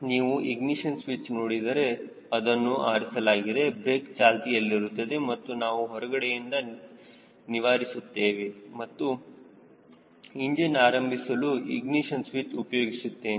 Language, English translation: Kannada, the ignition switch off position brakes on and i am taking the clearance from outside and engaging the ignition switch to start the engine